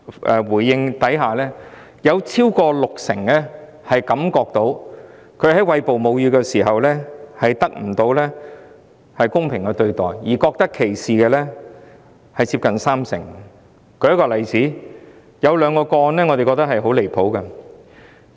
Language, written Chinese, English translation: Cantonese, 該項研究發現，超過六成的受訪婦女認為，她們在餵哺母乳時得不到公平的對待，而接近三成受訪婦女更覺得被歧視。, It is found in the study that more than 60 % of the interviewees considered that they were not treated fairly during breastfeeding and nearly 30 % of the interviewees even felt that they were discriminated